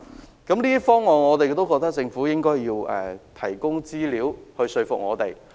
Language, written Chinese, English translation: Cantonese, 就這些方案，政府應提供資料來說服我們。, Regarding these proposals the Government should provide statistics to convince us